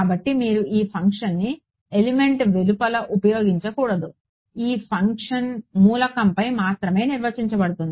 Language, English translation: Telugu, So, you should not use this function outside the element itself, this function is defined only over the element